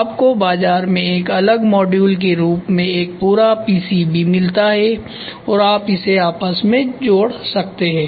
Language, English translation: Hindi, You get a complete PCB in the market as a separate module and can be fitted